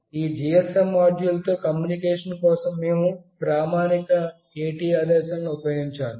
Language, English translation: Telugu, We have to use standard AT commands for communication with this GSM module